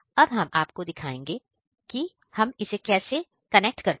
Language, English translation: Hindi, Now, we are going to show you what, how we are going to connect it